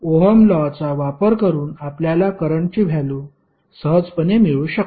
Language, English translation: Marathi, You can easily find out the value of currents using Ohm's law